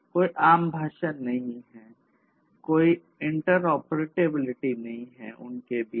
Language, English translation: Hindi, There is no common language, there is no, you know, there is no interoperability between them